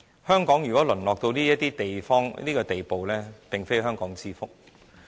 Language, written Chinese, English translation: Cantonese, 香港如果淪落到這個地步，並非香港之福。, It is not in the interest of Hong Kong if the city has been degenerated to such a state